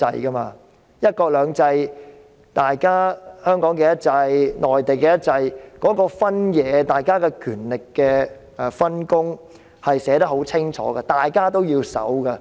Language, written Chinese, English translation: Cantonese, 在"一國兩制"下，香港的"一制"和內地的"一制"的分野，大家的權力分工寫得十分清楚，大家也要遵守。, Under one country two systems the divide between the one system in Hong Kong and the one system in the Mainland and the power delineation between them are very clearly stated and ought to be abided by both